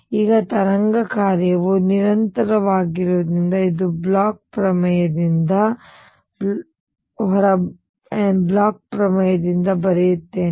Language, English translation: Kannada, Now, since the wave function is continuous this is by Bloch's theorem, let me write that this is by Bloch's theorem